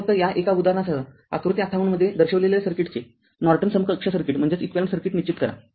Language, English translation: Marathi, So, with this just one example, determine Norton equivalent circuit of the circuit shown in figure 58